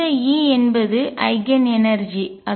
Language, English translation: Tamil, That E is the Eigen energy